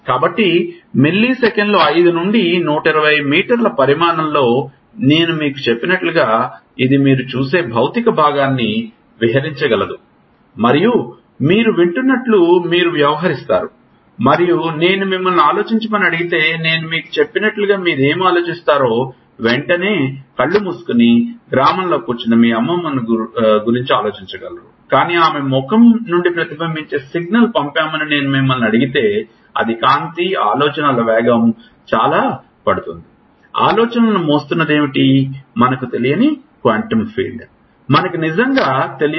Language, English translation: Telugu, So, milliseconds point 5 to 120 meter size as I told you in axons this can still explain the physical part of it that you see and you act you listen and you act what about the thought as I told you if I ask you to think you can immediately close your eyes and think about your grandmother sitting in the village, but if I ask you to send a signal reflected from her face it will take a lot of time speed of light, thoughts, what is it that is carrying thoughts is it a quantum field we do not know, we really do not know